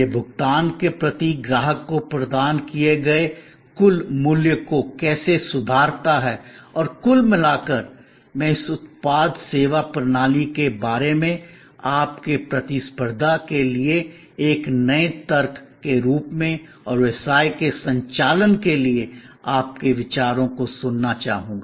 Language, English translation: Hindi, How it improves the total value provided to the customer per unit of payment and on the whole, I would like your thoughts to hear from you about this product service system as a new logic for competitiveness and for conducting business